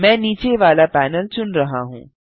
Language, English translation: Hindi, I am choosing the bottom panel